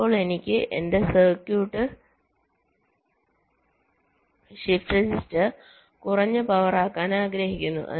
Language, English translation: Malayalam, now i want to make my circuit, the shift register, low power